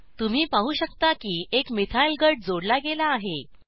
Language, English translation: Marathi, You will notice that a Methyl group has been added